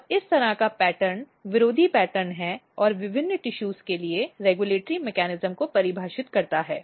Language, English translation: Hindi, And this kind of pattern this is a kind of antagonistic pattern, basically defines regulatory mechanism for different tissues